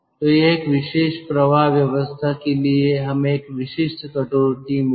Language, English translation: Hindi, for a particular flow arrangement we will get a typical cut